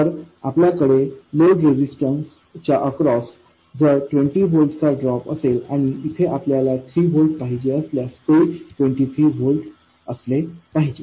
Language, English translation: Marathi, So, if you have a 20 volt drop across the load register and you want 3 volts here, this should be equal to 23 volts